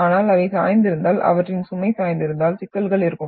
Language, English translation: Tamil, But if they are inclined, if their load is inclined, then you will have problems